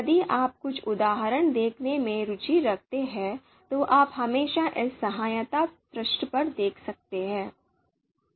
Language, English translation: Hindi, If you are interested looking few examples, you can always you know look here